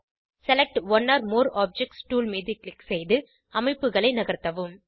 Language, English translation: Tamil, Click on Select one or more objects tool and drag the structures